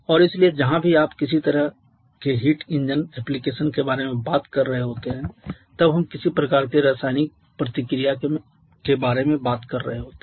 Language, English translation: Hindi, And therefore wherever you are talking about any kind of heat engine application we are talking about some kind of chemical reactions